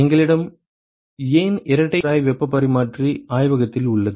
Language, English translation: Tamil, Why do we have double pipe heat exchanger the lab